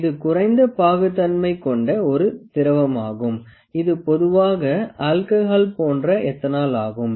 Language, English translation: Tamil, It is a fluid that is low viscosity fluid, and it generally some alcohol like ethanol